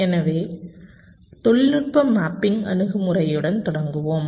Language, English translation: Tamil, so let us start with the technology mapping approach